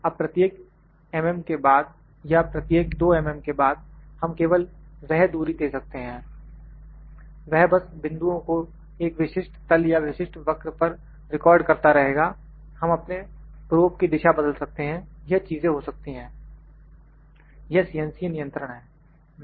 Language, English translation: Hindi, Now, after each mm or after each 2 mm, we can just give that distance it, it will just recording the points on a specific plane or specific curve or we can then change the direction of our probe those things can happen, this is CNC control